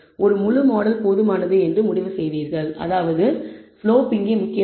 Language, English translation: Tamil, And conclude that a full model is adequate which means the slope is important here